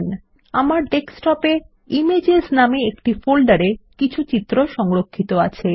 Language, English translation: Bengali, I have already stored some images on the Desktop in a folder named Images